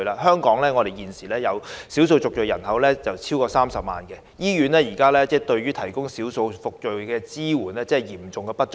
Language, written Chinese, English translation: Cantonese, 香港現時少數族裔人口超過30萬，醫院為他們提供的支援嚴重不足。, In Hong Kong we now have an ethnic minority population of over 300 000 people but the support provided to them in hospitals is severely insufficient